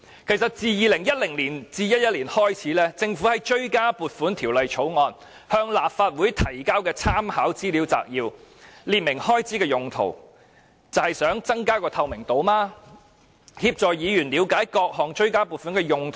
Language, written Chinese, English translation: Cantonese, 其實自 2010-2011 年度開始，政府就追加撥款條例草案向立法會提交參考資料摘要，列明追加撥款的原因，便是希望增加透明度，協助議員了解各項追加撥款的用途。, In fact since 2010 - 2011 the Government has been providing Legislative Council Briefs on supplementary appropriation Bills to set out the reasons for the supplementary appropriations in order to increase transparency and facilitate Members understanding of the purposes of various supplementary appropriations